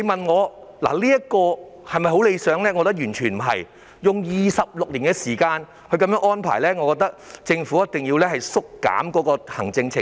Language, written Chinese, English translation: Cantonese, 我覺得完全不理想，因為須用上26年時間來安排，政府一定要精簡行政程序。, In my view it is by no means desirable . As it takes some 26 years to implement the arrangement the Government must streamline the administrative procedure